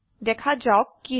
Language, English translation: Assamese, let see what happens